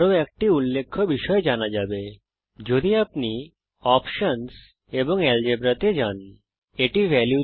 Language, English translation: Bengali, One more thing to note is if you go to options and Algebra